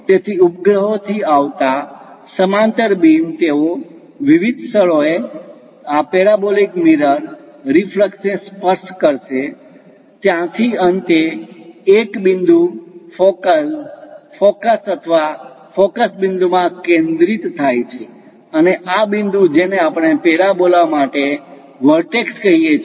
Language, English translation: Gujarati, So, the parallel beams from satellites coming, they will reflect touch this parabolic mirror, reflux at different locations; from there finally, converged to a point focal, focus or foci point and this point what we call vortex for a parabola